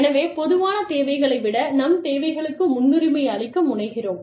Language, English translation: Tamil, So, we tend to prioritize our needs, ahead of the common needs